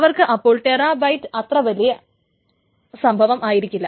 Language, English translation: Malayalam, So terabytes of data, even terabytes of data is not big for them